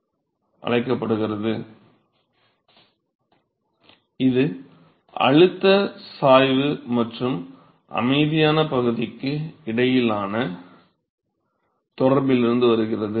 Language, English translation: Tamil, That comes from the relationship between the pressure gradient and the quiescent region